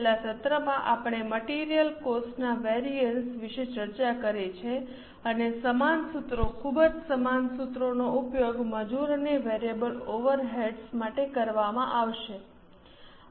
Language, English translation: Gujarati, In the last session we are discussed about material cost variances and the same formulas, very similar formulas will be used for labour and variable over eds